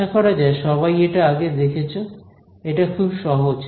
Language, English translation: Bengali, Hopefully everyone has seen this before, this is as simple as it gets